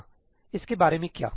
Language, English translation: Hindi, Yeah, what about this